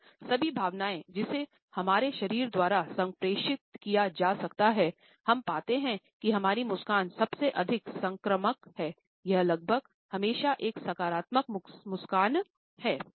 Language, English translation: Hindi, If all emotions which can be communicated by our body, we find that our smile is the most contagious one, it almost always is a positive smile